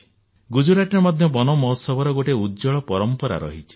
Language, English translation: Odia, Gujarat too has an illustrious tradition of observing Van Mahotsav